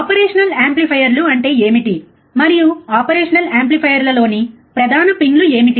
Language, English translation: Telugu, That is, what are the operational amplifiers, and what are the main pins in the operational amplifier